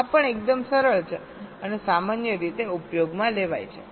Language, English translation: Gujarati, this is also quite simple and commonly used